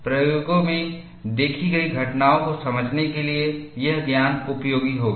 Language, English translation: Hindi, That knowledge would be useful, to understand the phenomena observed in the experiments